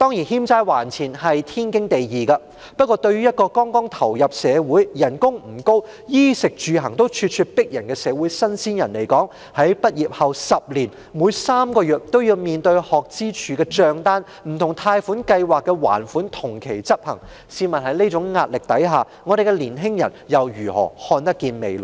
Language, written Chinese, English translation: Cantonese, 欠債還錢本是天經地義，但對一個剛投身社會、工資不高、應付衣食住行也大有壓力的社會"新鮮人"來說，在畢業後10年內的每3個月都要面對學生資助處的帳單，不同貸款計劃的還款同期執行，試問在這種壓力下，我們的年青人如何看得見未來？, But for a greenhorn who has just started working in society does not have a high salary and bears great pressure in meeting the expenses for clothing food housing and transport he will have to face the bills from the Student Finance Office SFO every three months in the next 10 years after graduation . Repayments under different loan schemes will be made concurrently . Under such pressure how can our young people see a bright future?